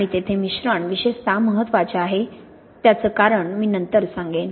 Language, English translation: Marathi, And there the mixing is especially important as I will say later